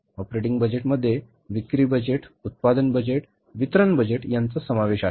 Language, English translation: Marathi, Operating budget includes sales budget, production budget, distribution budget